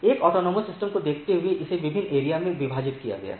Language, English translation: Hindi, Given a autonomous systems, it is divided into different areas